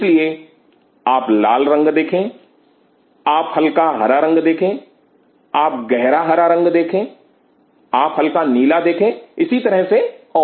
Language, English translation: Hindi, So, you see red you see light green, you see dark green, you see Prussian blue likewise